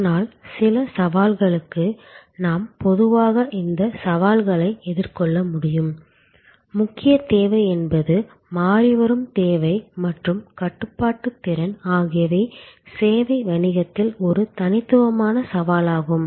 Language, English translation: Tamil, But, even to some extend we can address these challenges in general, the key challenge remains that the variable demand and constraint capacity is an unique set of challenges in service business